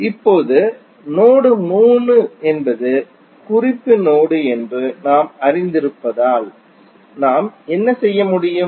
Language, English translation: Tamil, Now, since we know that node 3 is the reference node so what we can do